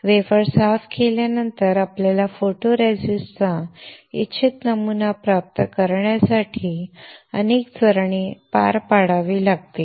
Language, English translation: Marathi, After cleaning the wafer, you have to perform several steps to obtain the desired pattern of the photoresist